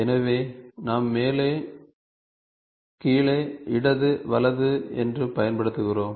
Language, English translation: Tamil, So, we use top the bottom, left, right ok